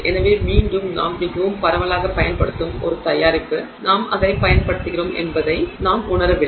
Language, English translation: Tamil, So, again a product that we use quite extensively, we don't realize that we use it